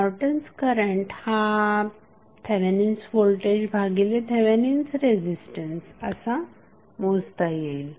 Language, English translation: Marathi, Norton's current can be calculated with the help of Thevenin's voltage divided by Thevenin resistance